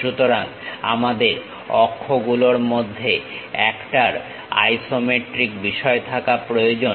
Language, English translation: Bengali, So, one of the axis we need isometric theme